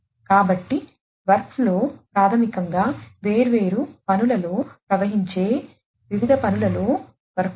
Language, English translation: Telugu, So, workflow is basically the workflow among the different tasks that flow of different tasks